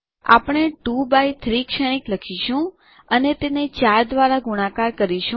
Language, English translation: Gujarati, We will write a 2 by 3 matrix and multiply it by 4